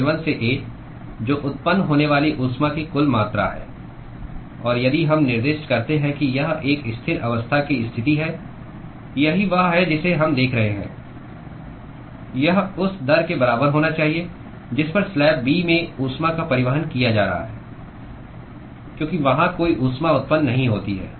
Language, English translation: Hindi, L1 into A, that is the total amount of heat that is generated and if we specify that it is a steady state condition that is what we will be looking at that should be equal to the rate at which heat is being transported in slab B, because there is no heat generation there